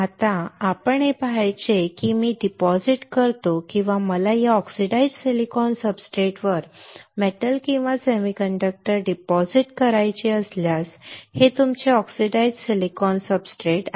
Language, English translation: Marathi, Now, what we have to see is if I deposit or if I want to deposit a metal or a semiconductor on this oxidized silicon substrate this is what is your oxidized silicon substratet